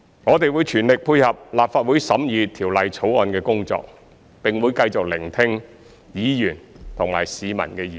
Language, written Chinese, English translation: Cantonese, 我們會全力配合立法會審議《條例草案》的工作，並會繼續聆聽議員及市民的意見。, We will fully cooperate with the Legislative Council in its scrutiny of the Bill and will continue to listen to the views of Members and the public